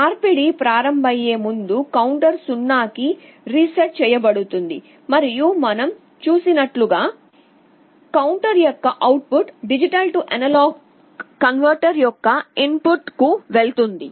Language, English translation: Telugu, Before the conversion starts the counter is reset to 0, and as we have seen the output of the counter goes to the input of the D/A converter